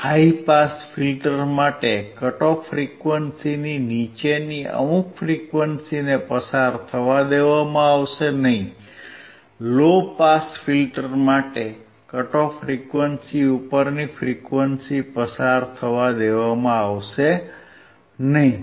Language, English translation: Gujarati, For the high pass filter, certain low frequency below the cut off frequency will not be allowed to pass; for the low pass filter the frequency above the cut off frequency will not be allowed to pass